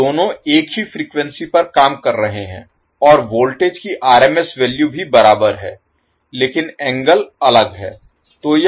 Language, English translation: Hindi, So, both are operating at same frequency but the and also the RMS value of the voltage magnitude is same, but angle is different